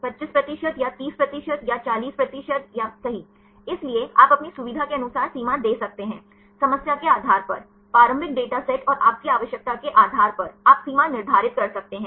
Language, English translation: Hindi, 25 percent or 30 percent or 40 percent or right; so, you can give the threshold as per your convenience; depending upon the problem, depending upon initial data sets and your requirement; you can set the threshold